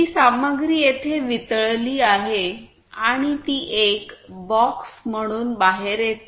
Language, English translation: Marathi, That material is melted here and it comes out as a box